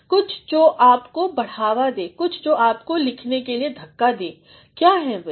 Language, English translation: Hindi, Something that drives you, something that propels you to write what is that